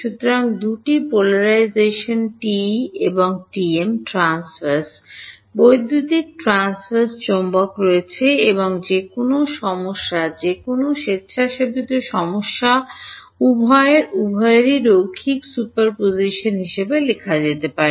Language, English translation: Bengali, So, there are 2 polarizations TE and TM Transverse Electric Transverse Magnetic and any problem any arbitrary problem can be written as a linear superposition of both of these